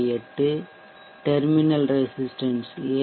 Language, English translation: Tamil, 8 terminal resistance p7